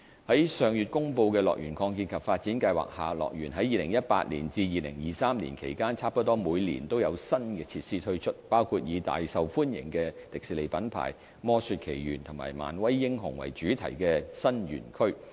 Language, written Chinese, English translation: Cantonese, 在上月公布的樂園擴建及發展計劃下，樂園在2018年至2023年期間差不多每年都有新設施推出，包括以大受歡迎的迪士尼品牌"魔雪奇緣"和"漫威英雄"為主題的新園區。, Under the expansion and development plan of HKDL announced last month new attractions will be launched almost every year from 2018 to 2023 including new themed areas featuring Disneys popular properties namely Frozen and Marvel Super Heroes